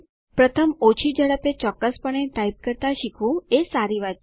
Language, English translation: Gujarati, It is a good practice to first learn to type accurately at lower speeds